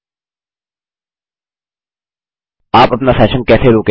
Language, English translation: Hindi, How do you pause your session